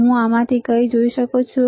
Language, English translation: Gujarati, Can you see anything in that this one